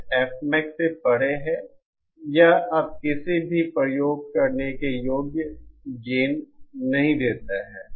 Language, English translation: Hindi, That is beyond F max it no longer gives any usable gain